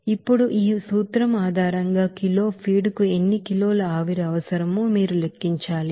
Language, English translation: Telugu, Now, based on this principle, you have to calculate how many kg of steam is required per kg of feed